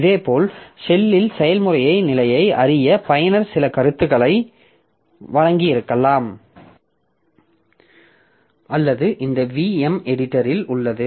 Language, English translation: Tamil, Similarly in the in the shell the user might have given some comment to know the process status or this some editor